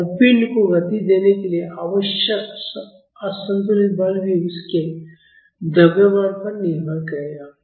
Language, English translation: Hindi, And unbalanced force needed to accelerate the body will also depend upon its mass